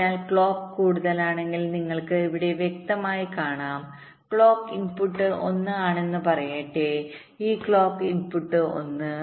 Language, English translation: Malayalam, so you can see here clearly: if clock is high, lets say clock input is one, then whatever this clock input is one